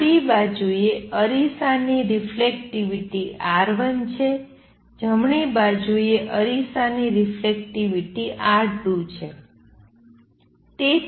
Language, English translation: Gujarati, Let the reflectivity of mirror on the left be R 1, the reflectivity of the mirror on the right be R 2